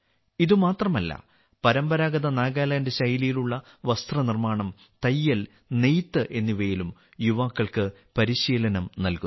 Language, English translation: Malayalam, Not only this, the youth are also trained in the traditional Nagaland style of apparel making, tailoring and weaving